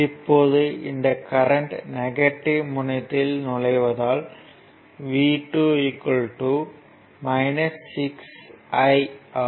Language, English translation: Tamil, And here i 3 actually entering into the positive terminal so, v 3 will be 12 i 3